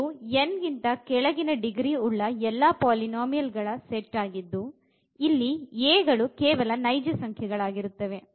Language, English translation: Kannada, So, this is a set of all polynomials of degree less than or equal to n for given n and all these a’s here are just the real numbers